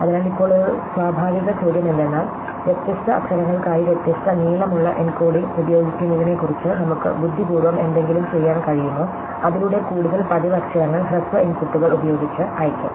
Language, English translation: Malayalam, So, now a natural question is, can we do something clever about using different length encoding for different letters, so that more frequent letters get send with shorter inputs